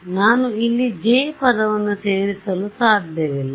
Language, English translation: Kannada, So, I cannot include a J term over here